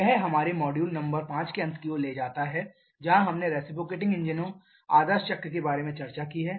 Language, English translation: Hindi, That takes us towards the end of our module number 5, where we have discussed about the idea cycle for reciprocating engines